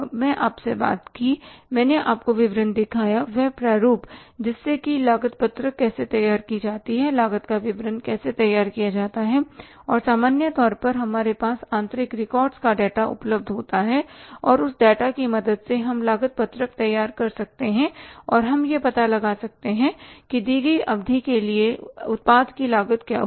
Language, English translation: Hindi, I talked to you, I showed you the statement the format that how the cost sheet is prepared, how the statement of the cost is prepared and we normally have the data from the internal records available with us and with the help of that data we can prepare the cost sheet and we can find out that what will be the cost of the product for the given period of time